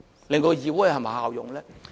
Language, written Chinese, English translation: Cantonese, 令到議會更有效用呢？, Can the legislature achieve more effectiveness?